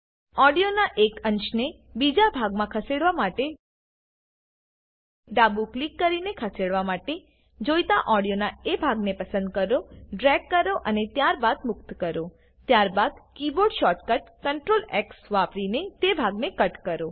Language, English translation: Gujarati, To move one segment of audio to another part, select the part of the audio that needs to be moved by left click, drag and then release, then cut that part by using the keyboard shortcut Ctrl+X